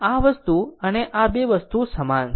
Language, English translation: Gujarati, This thing and this 2 things are same